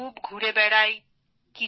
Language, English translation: Bengali, I walk around a lot